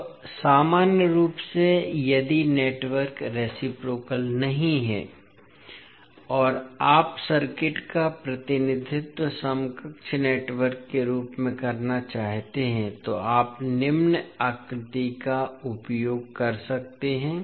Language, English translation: Hindi, Now, in general if the network is not reciprocal and you want to represent the circuit in equivalent in the form of equivalent network you can use the following figure